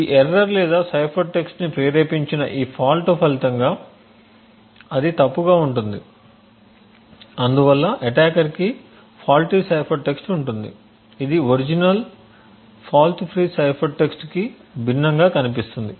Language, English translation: Telugu, As a result of this error or this fault that is induced the cipher text that is obtained would be incorrect thus the attacker would have a faulty cipher text which looks different from the original fault free cipher text